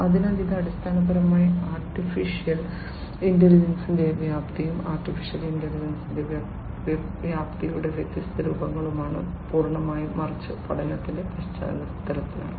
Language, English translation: Malayalam, So, this is basically the scope of artificial intelligence and the different forms of not the scope of artificial intelligence, entirely, but in the context of learning